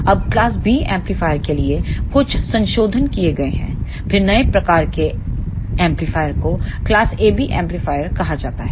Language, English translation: Hindi, Now, there are few modifications made for the class B amplifier, then the new type of amplifier is called as the class AB amplifier